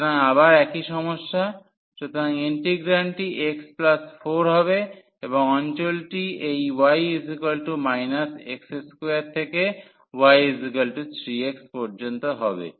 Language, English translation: Bengali, So, again the similar problem; so, the integrand will be x plus 4, and the region will be computed from this y is minus x square and y is equal to 3 x